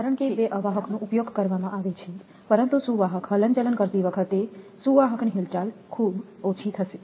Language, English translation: Gujarati, Because the two insulators are used, but as the conductor swing our conductor movement will be very less